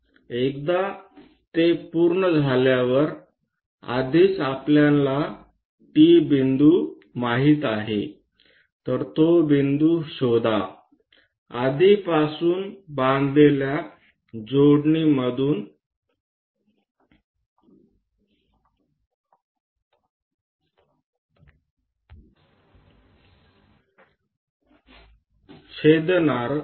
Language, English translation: Marathi, Once it is done, already T point we know; so locate that point, intersect this already constructed circuit